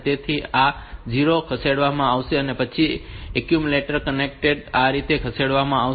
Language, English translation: Gujarati, So, this 0 will be shifted and then the accumulator content will get shifted this way